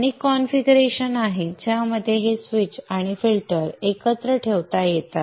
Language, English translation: Marathi, There are many configurations in which this switch and the filter can be put together